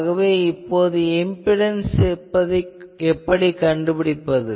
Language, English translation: Tamil, So, how to find impedance